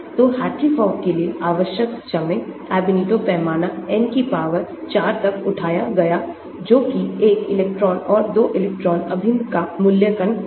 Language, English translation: Hindi, so the time required for Hartree Fock; Ab initio scale as N raised to the power 4 that is evaluation of one electron and 2 electron integrals